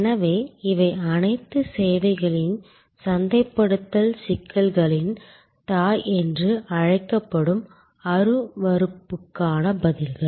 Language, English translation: Tamil, So, these are responses to intangibility which are often called the mother of all services marketing problems